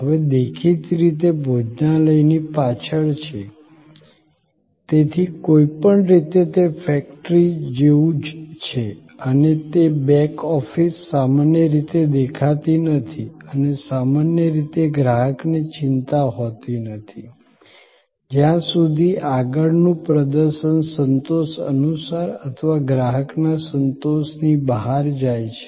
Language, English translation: Gujarati, So, anyway it is quite similar to the factory and that back office normally is not visible and customer is usually not bothered, as long as the front performance goes according to satisfaction or beyond the customer satisfaction